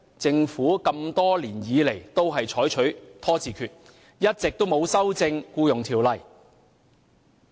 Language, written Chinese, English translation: Cantonese, 政府多年來均採取拖字訣，一直沒有修正《僱傭條例》。, It has been procrastinating and has not amended the Employment Ordinance over the years